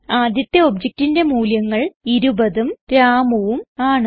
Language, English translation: Malayalam, The first object has the values 20 and Ramu